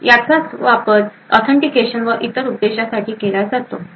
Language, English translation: Marathi, So this is essentially utilised for authentication and other purposes